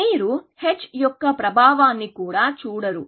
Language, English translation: Telugu, You do not even look at the effect of h